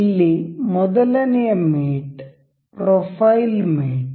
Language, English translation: Kannada, The first mate here is profile mate